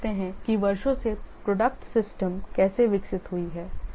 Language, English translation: Hindi, Now let's see how the quality systems have evolved over years